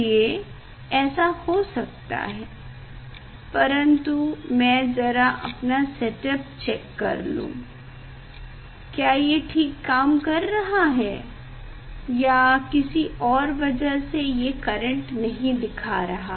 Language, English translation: Hindi, that is why this is happening but let me check using this one whether my setup is working well or any due to any problem that current is not showing